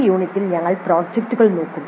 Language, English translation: Malayalam, In this unit we look at the projects